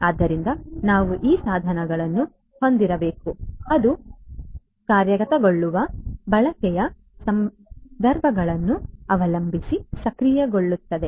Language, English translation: Kannada, So, we need to have these devices which will be enabled depending on the use cases being implemented and so on